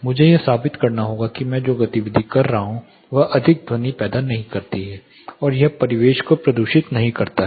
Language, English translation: Hindi, I have to prove that the activity which I am doing does not create more sound and it does not pollute the ambient